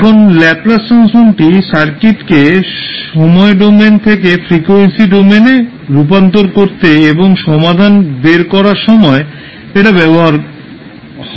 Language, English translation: Bengali, Now, Laplace transform is used to transform the circuit from the time domain to the frequency domain and obtain the solution